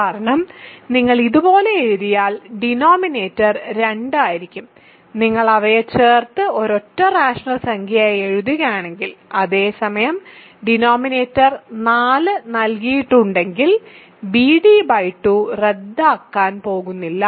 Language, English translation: Malayalam, Because if you write it like this, the denominator will be 2; if you add them and write it as a single rational number; whereas, denominator is 4 provided b and d are not going to cancel 2